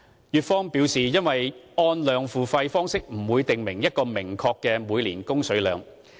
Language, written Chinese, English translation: Cantonese, 粵方表示，"按量付費"方式不會訂明一個明確的每年供水量。, The Guangdong side said that this approach will not dictate a clear annual supply quantity